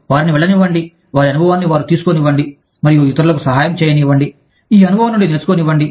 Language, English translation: Telugu, Let them go, let them take their experience, and let them help the others, learn from this experience